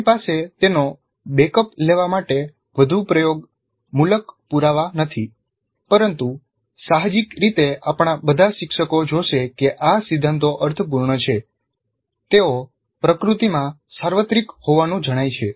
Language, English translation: Gujarati, We do not have too much of empirical evidence to back it up but intuitively all of us teachers would see that these principles make sense